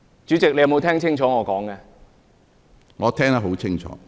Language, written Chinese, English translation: Cantonese, 主席，你有否聽清楚我的發言？, President have you heard my speech clearly?